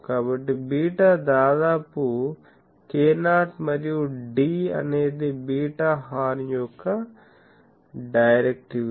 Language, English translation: Telugu, So, beta is almost equal to k 0 and D the directivity of the horn